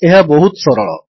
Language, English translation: Odia, This is simple